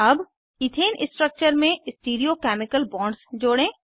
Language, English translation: Hindi, Now let us add Stereochemical bonds to Ethane structure